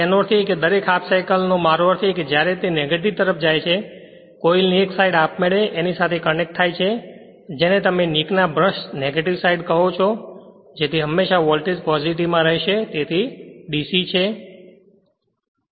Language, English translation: Gujarati, That means, every half cycle I mean when it is going to the negative that one side of the coil automatically connected to the your what you call nik’s brush right negative side such that your what you call that you are voltage always will remain your in the positive, so DC